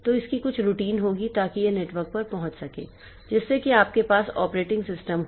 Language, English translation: Hindi, So, it will have some routine so that it can access over the network the server that contains the operating system